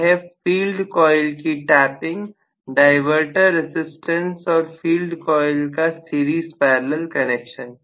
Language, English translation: Hindi, So, tapping of field coil, diverter resistance and series parallel connection of field coils